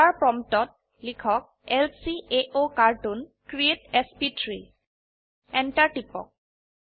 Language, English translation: Assamese, At the dollar prompt type lcaocartoon create sp3 Press Enter